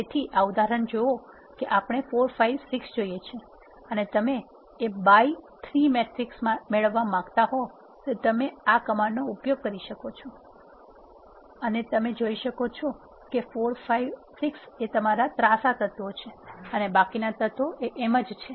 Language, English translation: Gujarati, So, see this example we want 4 5 6 ask the elements of our diagonals and you want to have a 3 by 3 matrix you can use this command and you can see that 4 5 and 6 are your elements in the diagonal and the rest of the elements are there